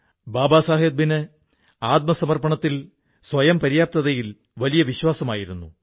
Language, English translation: Malayalam, Baba Saheb had strong faith in selfreliance